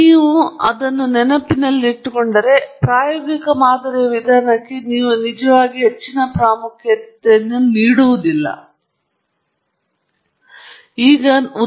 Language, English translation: Kannada, If you remember that, then, you will not really give excessive importance to the empirical modelling approach, really tread with a lot of wisdom, so to say